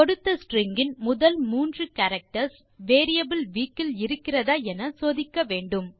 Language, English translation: Tamil, So, we need to check if the first three characters of the given string exists in the variable week